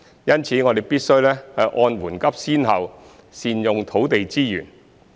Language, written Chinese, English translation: Cantonese, 因此，我們必須按緩急先後善用土地資源。, Hence we must make optimal use of land resources based on the order of priority